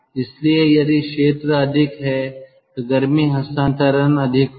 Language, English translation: Hindi, so if the area is more, heat transfer will be more